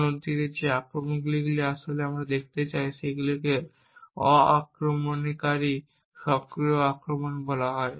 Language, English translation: Bengali, On the other hand the attacks that we would actually look at today are known as non invasive active attacks